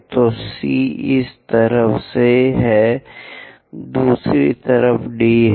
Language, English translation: Hindi, So, C is on this side, D is on the other side